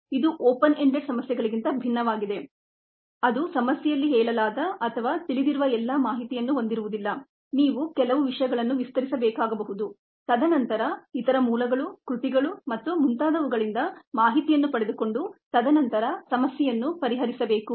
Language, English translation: Kannada, this is distinct from open ended problems that may not have, ah, all the information that is required, state it in the problem or known, might need to extend a few things and then get information from other sources literature and so on and then solve the problem